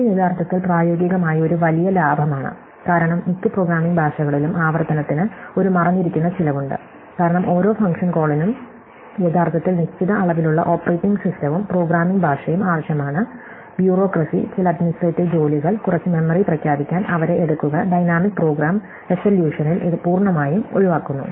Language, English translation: Malayalam, So, this is actually in practice a big saving, because in most programming languages there is a hidden cost to recursion because every function call actually requires a certain amount of operating system and programming language, bureaucracy, some administrate work, to take them to declare some memory on the stack and so on and this is avoided a completely in a dynamic program solution